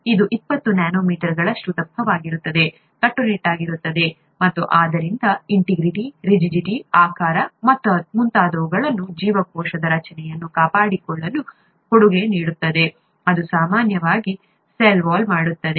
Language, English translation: Kannada, This twenty nanometers thick, is rigid and therefore contributes to maintain the cell structure such as integrity, rigidity, shape and so on and so forth, that is typically what a cell wall does